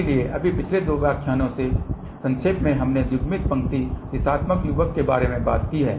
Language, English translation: Hindi, So, just to summarize in the last two lectures we have talked about coupled line directional coupler